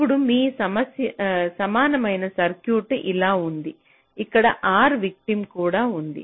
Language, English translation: Telugu, ok, so now your equivalent circuit looks like this: there is also r victim here